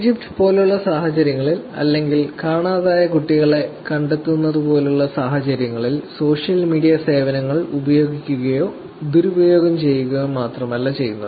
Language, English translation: Malayalam, It is not only that social media services are being used or misused in situations like the Egypt or situations like finding kids